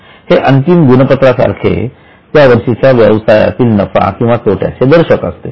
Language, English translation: Marathi, It's like a final scorecard for that business as profit or loss for the year